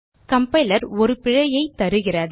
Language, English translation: Tamil, The compiler gives an error